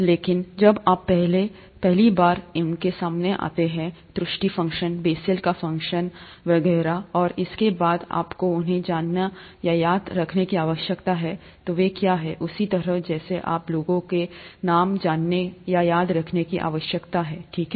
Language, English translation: Hindi, But, when, you are exposed to them for the first time, error function, Bessel’s function and so on and so forth, you need to know or remember them, what they are, the same way that you need to know or remember people’s names, okay